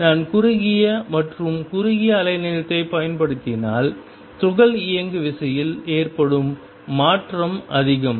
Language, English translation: Tamil, If I use shorter and shorter wavelength the change in the momentum of the particle is more